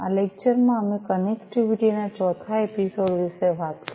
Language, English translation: Gujarati, In this lecture, we talked about the 4th episode of Connectivity